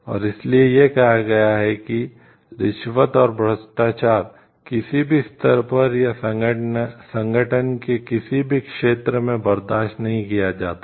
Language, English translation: Hindi, And that is why it has been stated that bribery and corruption are not tolerated at any level or in any area of the organization